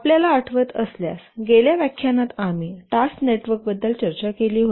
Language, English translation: Marathi, If you remember in the last lecture we had discussed about task networks